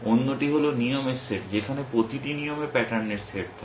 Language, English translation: Bengali, The other is the set of rules where each rule consists of a set of patterns